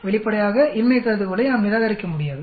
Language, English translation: Tamil, Obviously, we will not be able to reject the null hypothesis